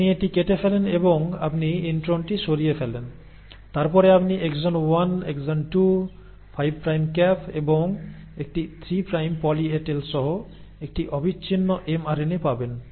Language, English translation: Bengali, You cut it and you remove the intron out, and then you get a continuous mRNA, with exon 1, exon 2, 5 prime cap and a 3 prime poly A tail